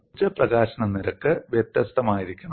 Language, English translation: Malayalam, That means the energy release rate should be different